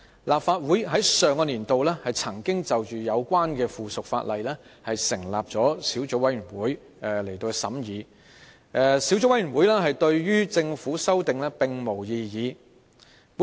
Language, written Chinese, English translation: Cantonese, 立法會在上個年度已就有關的附屬法例成立小組委員會，而小組委員會對於政府的修訂並無異議。, A subcommittee was formed under the Legislation Council in the last session to consider this piece of subsidiary legislation and it raised no opposition to the amendments proposed by the Government